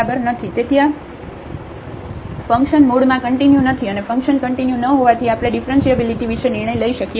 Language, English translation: Gujarati, Hence, this function is not continuous at origin and since the function is not continuous we can decide about the differentiability